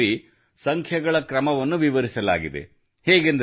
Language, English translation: Kannada, The order of numbers is given in this verse